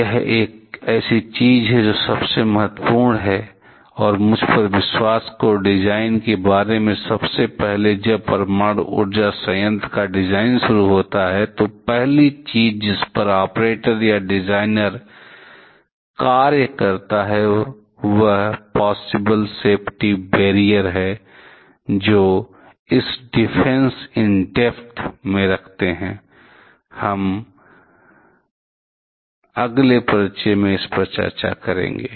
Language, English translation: Hindi, This is something that is a paramount importance and believe me at the very first about design; when the design of nuclear power plant starts the first thing operator or the designer starts to work with is the possible safety barriers, that they are going to put in which falls under this Defense in depth, we shall be discussing this in the next introduction so